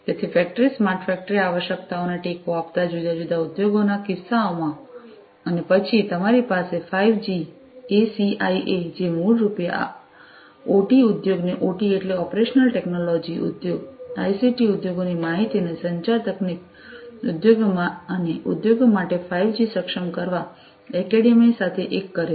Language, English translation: Gujarati, So, different use cases supporting the factory smart factory requirements and then you have the 5G – ACIA, which basically unites the OT industry OT means operational technology industries with the ICT industries information and communication technology industries and academia for enabling 5G for industries